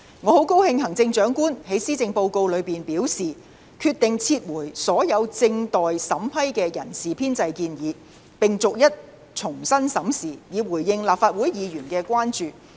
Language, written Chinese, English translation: Cantonese, 我很高興行政長官在施政報告中表示，決定撤回所有正待審批的人事編制建議，並逐一重新審視，以回應立法會議員的關注。, I am very glad to learn that as stated by the Chief Executive in the Policy Address she has decided to withdraw all the staff establishment proposals awaiting scrutiny and review them individually thereby addressing the concern raised by Members of the Legislative Council